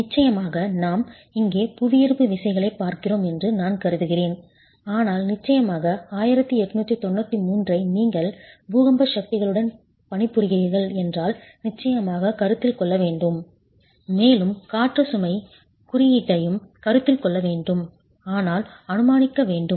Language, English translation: Tamil, Of course, I am assuming that we are looking at gravity forces here, but of course 1893 would have to be considered if you are also working with earthquake forces and of course the wind load code also has to be considered